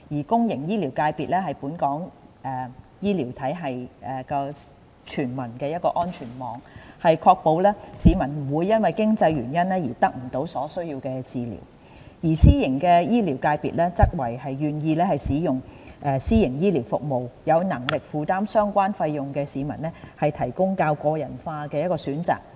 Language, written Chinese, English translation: Cantonese, 公營醫療界別是本港醫療體系的全民安全網，確保市民不會因為經濟原因而得不到所需的治療，而私營醫療界別則為願意使用私營醫療服務、有能力負擔相關費用的市民提供較個人化的選擇。, The public healthcare sector acts as the safety net for all in our healthcare system to ensure that no one should be denied adequate healthcare through lack of means while the private healthcare sector offers more personalized choices for those who are willing and can afford to seek private medical services